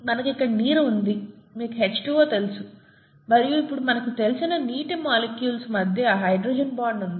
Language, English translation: Telugu, We have water here, you know H2O and there is hydrogen bonding between water molecules that we know now